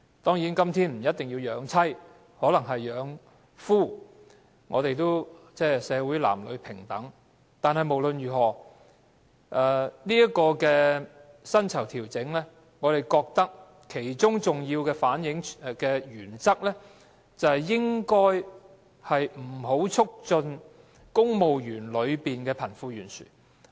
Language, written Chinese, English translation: Cantonese, 當然，今天不一定是賺錢養妻，可能是養夫，我們的社會是男女平等的，但無論如何，對於薪酬調整，我們認為當中的重要原則是不應促進公務員的貧富懸殊。, Of course nowadays salaries are not necessarily for supporting the living of wives because they may be used for supporting the living of husbands since men and women are equal in our society . But in any case with regard to the pay adjustment we consider it an important principle that the pay adjustment should not aggravate the wealth gap among civil servants